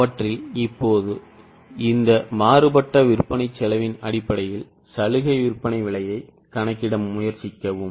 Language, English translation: Tamil, Now based on this variable cost of sales try to compute the concessional selling price